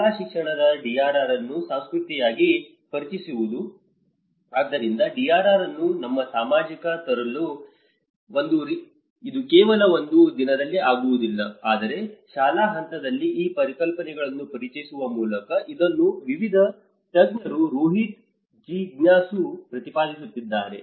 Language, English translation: Kannada, Introducing DRR as a culture at school education, so in order to bring the DRR into our society, it cannot just happen in only one day, but by introducing these concepts at a school level, this has been advocated by different experts Rohit Jigyasu